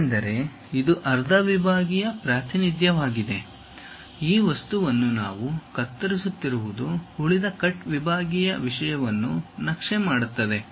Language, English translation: Kannada, Because, it is a half sectional representation, this object whatever we are slicing it maps the remaining cut sectional thing